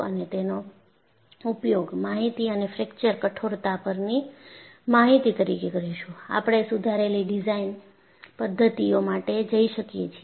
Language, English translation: Gujarati, Using that as an information and also the information on fracture toughness, we could go for improved design methodologies